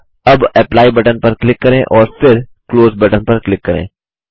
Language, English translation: Hindi, Now click on the Apply button and then click on the Close button